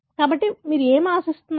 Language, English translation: Telugu, So, what do you expect